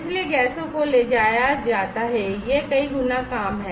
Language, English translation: Hindi, So, gases are transported, so it is having a many fold their